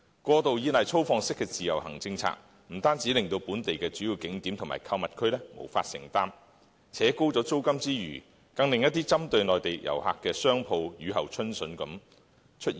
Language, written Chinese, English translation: Cantonese, 過度依賴粗放式的自由行政策，不單令本地的主要景點和購物區無法承擔，拉高租金之餘，更令一些針對內地遊客的商鋪如雨後春筍般出現。, The over - reliance on the extensive development of IVS brought great pressure on the main tourist attractions and shopping districts and pushed up the rental; at the same time shops that mainly attracted Mainland visitors had mushroomed